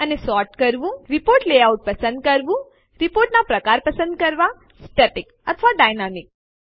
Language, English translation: Gujarati, Select report layout and Choose report type: static or dynamic